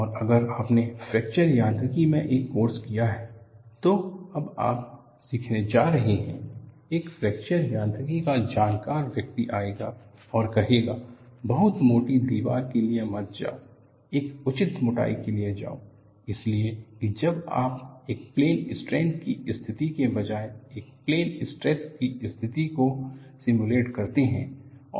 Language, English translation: Hindi, And if you have done a course in fracture mechanics, which is what you are going to learn now, a fracture mechanics person will come and say, do not go for a very thick wall; go for a reasonable thickness, so that, you stimulate a plane stress condition rather than a plane strain condition